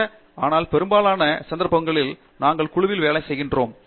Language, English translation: Tamil, There are some, but most in most of cases we are working with the group